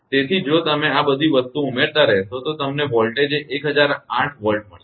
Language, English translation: Gujarati, So, voltage if you go on adding all this thing you will get 1008 volt